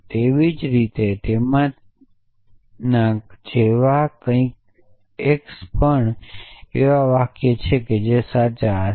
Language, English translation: Gujarati, existence x such that even x is a sentences which would be true